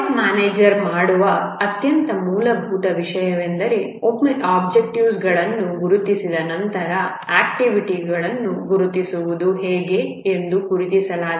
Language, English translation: Kannada, One of the most fundamental things that the project manager does is once the objectives have been identified, how to identify the activities from the objectives